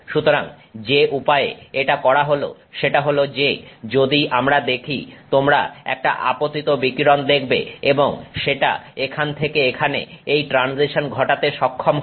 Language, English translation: Bengali, So, the way this is done is as we saw you have some incoming radiation and that enables this transition from here to here, right